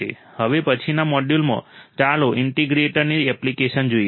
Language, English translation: Gujarati, In the next module, let us see the application of an integrator